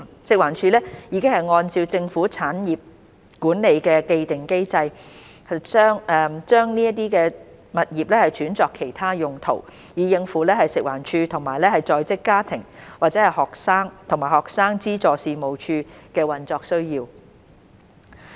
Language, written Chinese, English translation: Cantonese, 食環署已按照政府產業管理的既定機制，將這些物業轉作其他用途，以應付食環署和在職家庭及學生資助事務處的運作需要。, FEHD has in accordance with the established mechanism on management of government properties converted these properties for other uses so as to meet the operational needs of FEHD and the Working Family and Student Financial Assistance Agency WFSFAA